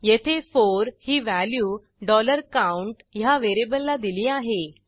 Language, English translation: Marathi, Here, 4 is assigned to variable $count